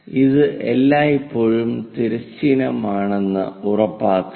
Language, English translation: Malayalam, Make sure that this is always be horizontal